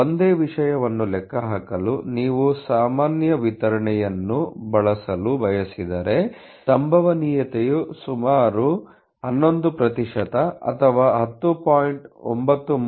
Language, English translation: Kannada, If you want to use the normal distribution to calculate the same thing, so therefore the probability is about 11% or may be 10